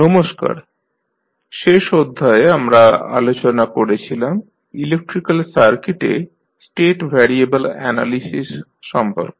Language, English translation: Bengali, Namaskrar, since last class we discuss about the State variable analysis in the electrical circuits